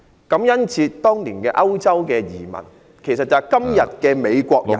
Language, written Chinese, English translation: Cantonese, 感恩節是當年歐洲移民，其實就是今天的美國人......, The European immigrants who held Thanksgiving Day then are todays Americans